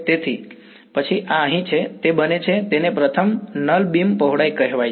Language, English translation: Gujarati, So, then this over here is it becomes it is called the First Null Beam Width